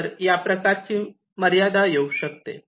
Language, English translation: Marathi, so this kind of a constraint can be there